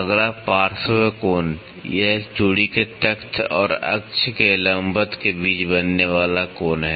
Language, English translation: Hindi, Next flank angle, it is the angle formed between a plank of a thread and the perpendicular to the axis